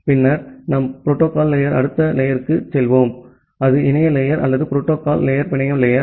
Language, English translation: Tamil, And then we will move to the next layer of the protocol stack that is the internet layer or the network layer of the protocol stack